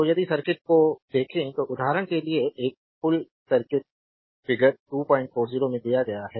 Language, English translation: Hindi, So, if you look at the circuit suppose for example, a bridge circuit is given in a your figure 40